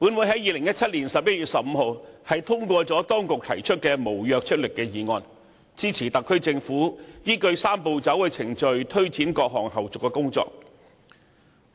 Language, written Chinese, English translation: Cantonese, 在2017年11月15日，本會通過政府當局提出的無約束力議案，支持特區政府依據"三步走"程序，推展各項後續工作。, On 15 November 2017 this Council passed a non - binding motion moved by the Government in support of the Administration in taking forward the various follow - up tasks of the co - location arrangement pursuant to the Three - step Process